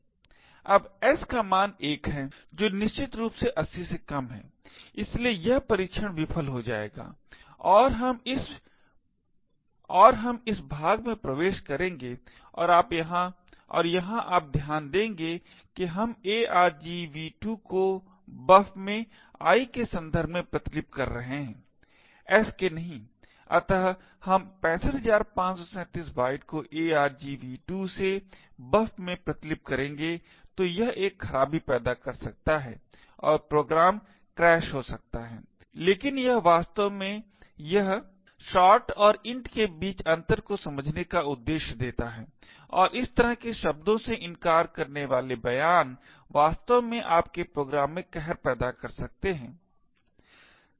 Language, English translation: Hindi, Now s has a value of 1 which is definitely less than 80, so this test will fail and we would enter this part and here you notice that we are copying argv2 into buf with respect to i and not s thus we would copy 65537 bytes from argv2 into buf so this may create a fault and the program may crash but it serves the purpose to actually understand how difference between a shot and an int and seemingly denying statements such as this could actually create havoc in your program